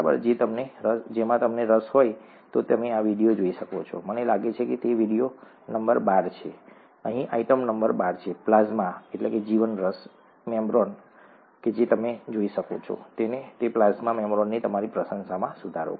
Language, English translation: Gujarati, If you are interested, you could see this video, by clicking I think it is video number twelve, the item number twelve here, plasma membrane, you could see this, and that will improve your appreciation of the plasma membrane